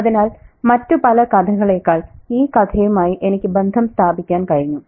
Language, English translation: Malayalam, And I think I could relate to it a lot more than a lot of other stories